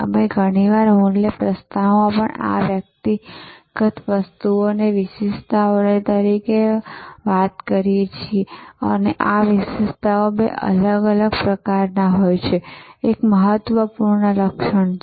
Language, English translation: Gujarati, We often call also these individual items in the value proposition as attributes and this attributes are of two different types, one is important attribute